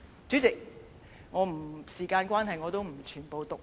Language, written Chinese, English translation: Cantonese, 主席，時間關係，我不會全部讀出內容。, President owning to time constraints I will not read all the contents in the book